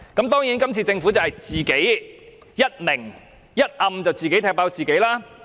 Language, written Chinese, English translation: Cantonese, 當然，今次是政府一明一暗地自我暴露了意圖。, Certainly this time around the Government has exposed its intention both explicitly and implicitly voluntarily